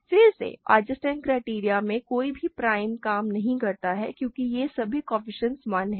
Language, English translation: Hindi, Again, no prime works in the Eisenstein criterion because all the coefficients here are 1